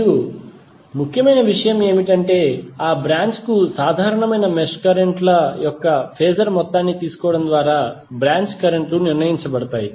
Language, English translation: Telugu, And the important thing is that branch currents are determined by taking the phasor sum of mesh currents common to that branch